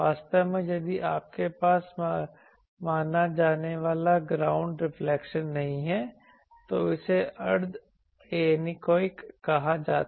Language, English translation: Hindi, Actually if you do not have the ground reflections considered then it is called semi anechoic